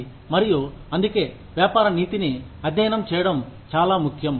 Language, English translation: Telugu, And, that is why, it is very important to study, business ethics